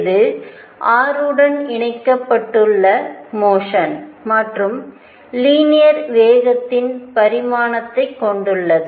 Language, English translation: Tamil, This you can see is connected to motion along r and has a dimension of linear momentum